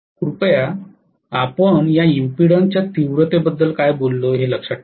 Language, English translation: Marathi, Please remember what we talked about the magnitude of the impedance right